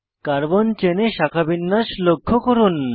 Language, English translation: Bengali, Observe the branching in the Carbon chain